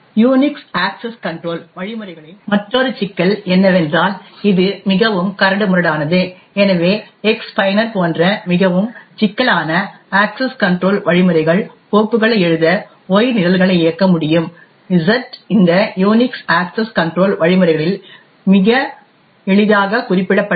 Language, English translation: Tamil, Another problem with Unix access control mechanisms is that it is highly coarse grained, so for example more intricate access control mechanisms such as X user can run programs Y to write to files Z is not very easily specified in this Unix access control mechanisms